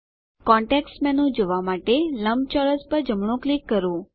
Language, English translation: Gujarati, Right click on the rectangle to view the context menu